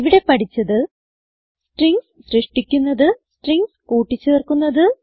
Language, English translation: Malayalam, This is how we create strings and perform string operations